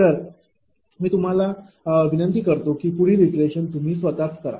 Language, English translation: Marathi, I request you to do the next iteration, of yourself right